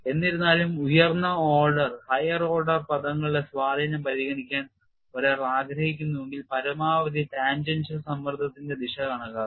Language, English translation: Malayalam, If however, one wants to consider the influence of higher order terms, then calculate the direction of the maximum tangential stress